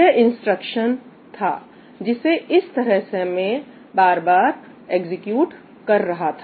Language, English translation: Hindi, That is the instructions, and then I was repeatedly executing this way